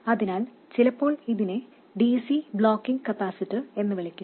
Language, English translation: Malayalam, So sometimes this is also known as DC blocking capacitor